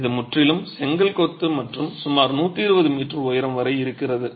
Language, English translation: Tamil, It's completely in brick masonry and rises to about a hundred and twenty meters in height